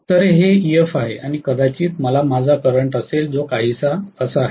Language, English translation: Marathi, So this is Ef and I am probably going to have my current which is somewhat like this